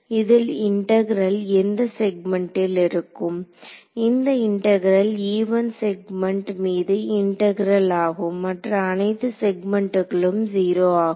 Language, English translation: Tamil, In this and this integral is over which segment now is integral is going to be only over segment e 1 all other segments are 0